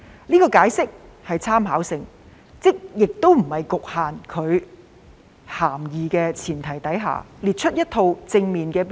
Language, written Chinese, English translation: Cantonese, 這個解釋屬參考性質，即在不局限其涵義的前提下，列出一套正面的標準。, This explanation serves as a reference by setting out a positive list of criteria without limiting the meaning of the expression